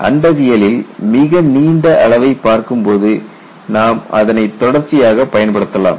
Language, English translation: Tamil, When you are looking at a very long scale in cosmology, you can use it as a continuum and play with it